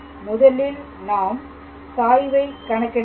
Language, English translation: Tamil, So, first of all we have to calculate its gradient